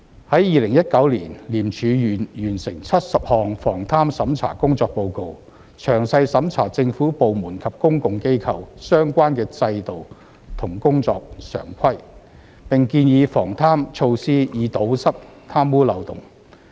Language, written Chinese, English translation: Cantonese, 在2019年，廉署完成70項防貪審查工作報告，詳細審查政府部門及公共機構相關的制度和工作常規，並建議防貪措施以堵塞貪污漏洞。, In 2019 ICAC completed 70 assignment reports with detailed review of the relevant systems and practices in government departments and public bodies as well as recommendations on corruption prevention measures for plugging loopholes